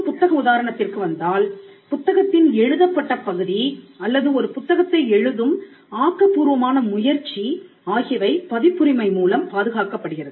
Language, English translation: Tamil, So, coming back to the book example a book the written part of the book or the creative endeavor that goes into writing a book is protected by copyright